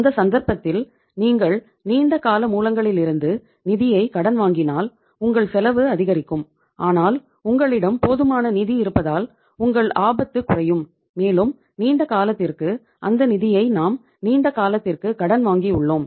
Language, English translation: Tamil, If you are borrowing the fund from the long term sources in that case your cost will go up but your risk will go down because we have sufficient funds available and we have borrowed those funds for a longer period of time for the longer duration